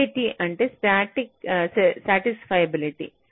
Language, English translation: Telugu, sat stands for satisfiability